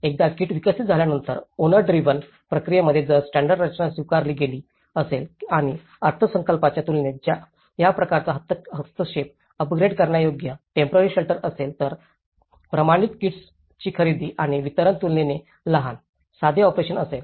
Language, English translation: Marathi, Once a kit is developed, if a standard structure is acceptable in a owner driven process and this kind of intervention is upgradeable temporary shelter than budgeting, procurement and distribution of standardized kits is a relatively small, simple operation